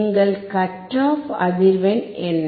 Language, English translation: Tamil, What is our cut off frequency